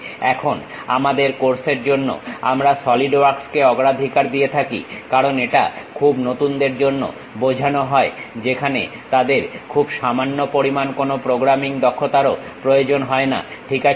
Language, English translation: Bengali, Now, for our course we prefer Solidworks uh because this is meant for very beginners where they do not even require any little bit about programming skills, ok